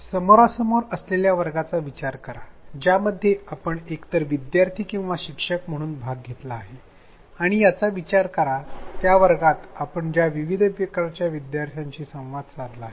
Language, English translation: Marathi, Think of a face to face class that you have participated in either as a student or as a teacher and think of the various types of students that you have interacted with in that class